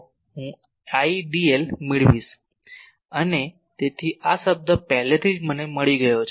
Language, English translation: Gujarati, dl and so, this term already I got